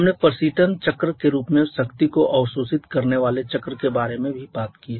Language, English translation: Hindi, We have also talked about the power absorbing cycles in the form of recreation cycles